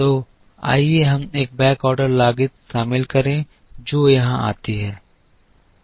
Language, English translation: Hindi, So, let us include a backorder cost which comes here